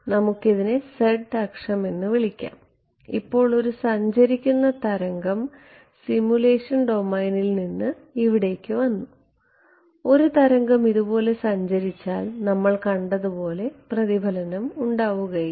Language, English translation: Malayalam, Now a wave that is travelling a wave has travelled from a simulation domain over here let us call this the z axis a wave has travelled like this is and there is no reflection as we have seen there is no reflection